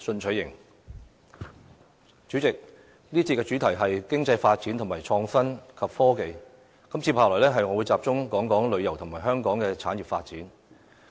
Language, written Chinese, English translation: Cantonese, 主席，這節主題是：經濟發展和創新及科技，接下來，我會聚焦於香港的旅遊及產業發展。, President the theme of this session is Economic Development and Innovation and Technology . I will then focus on the development of Hong Kongs tourism and industries